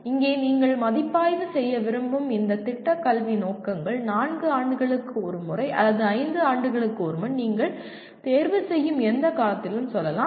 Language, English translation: Tamil, And here these program educational objectives you may want to review let us say once in four years or once in five years whatever period that you choose